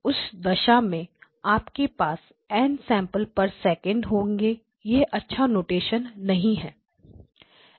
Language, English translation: Hindi, So in which case if you have n samples per second may be this is not good notation